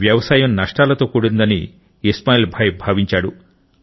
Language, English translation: Telugu, Ismail Bhai's father was into farming, but in that, he often incurred losses